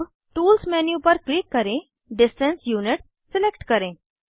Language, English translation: Hindi, Now, click on Tools menu, select Distance Units